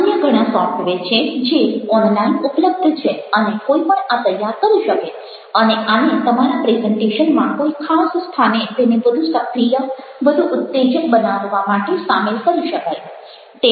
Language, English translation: Gujarati, there are many other software which are available online and one can generate these and this can be introduced to your presentation, may be at specific places to make a dynamic, to make it exciting